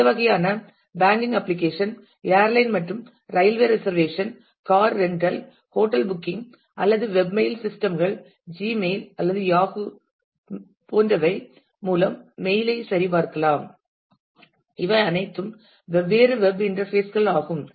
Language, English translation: Tamil, And we have seen we are living through a variety of applications which are of this kind the banking application, the airline and railway reservations car rental hotel booking or web mail systems we will check mail in Gmail or Yahoo those are all different web interfaces through which we actually access a the required set of databases